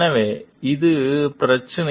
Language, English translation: Tamil, So, this is the issue